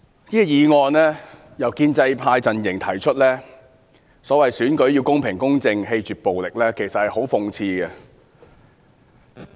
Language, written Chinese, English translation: Cantonese, 主席，這項議案由建制派提出，說甚麼選舉要公平、公正、棄絕暴力，其實十分諷刺。, President it is actually very ironic that the pro - establishment camp has proposed this motion saying that the election has to be held in a fair and just manner and be rid of any violence